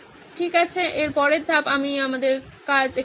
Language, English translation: Bengali, Okay, next step after this, so we are done